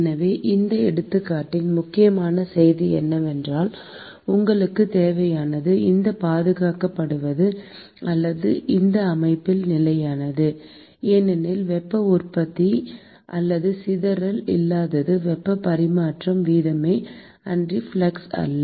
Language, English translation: Tamil, So, an important message of this example is that what you need, what is preserved here or what remains constant in this system because there is no heat generation or dissipation is the heat transfer rate and not the flux